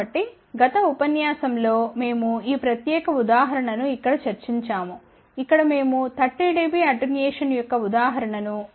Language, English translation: Telugu, So, in the last lecture we had discussed this particular example here, where we had taken an example of 30 dB attenuation at omega by omega c equal to 1